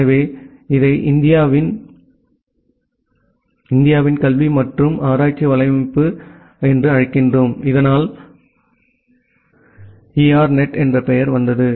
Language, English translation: Tamil, So, we call it as educational and research network of India so that way the name ERNET came from